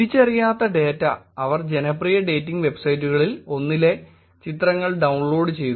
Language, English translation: Malayalam, Un identified data, they downloaded the pictures of one of the popular dating websites